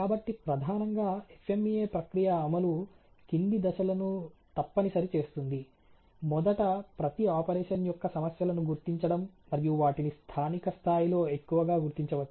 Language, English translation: Telugu, So principally the implementation of the FMEA process a necessities the following steps ok, first a fall you identifying the problems for each operation and that can be identify the a mostly of the local level